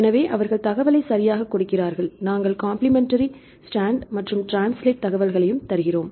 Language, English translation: Tamil, So, they give the information right we also give the complementary stand information right and the translation